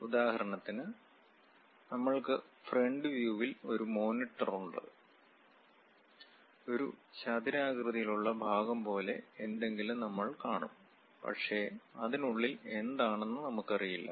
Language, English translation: Malayalam, For example, we have a monitor, at front view we will see something like a rectangular portion; but inside what it is there we do not know